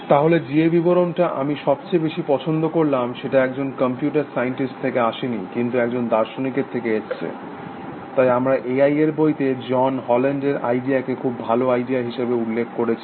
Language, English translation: Bengali, So, the definition which I like most is come from not a computer scientist, but from a philosopher, that we mentioned John Haugeland in the book A I, the very idea